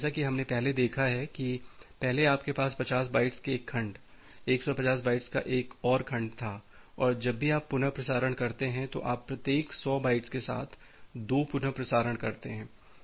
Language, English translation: Hindi, So, that we have seen earlier, that the earlier you had one segment of 50 bytes another segment of 150 bytes and whenever you are making a retransmission you are making two retransmission of 100 bytes each